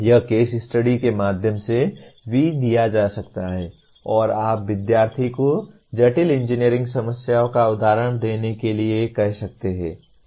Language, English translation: Hindi, This also can be given through case studies and you can ask the students to give examples of complex engineering problems